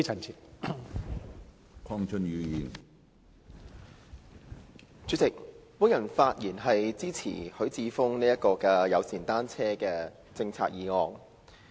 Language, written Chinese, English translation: Cantonese, 主席，我發言支持許智峯議員有關制訂單車友善政策的議案。, President I rise to speak in support of the motion proposed by Mr HUI Chi - fung on formulating a bicycle - friendly policy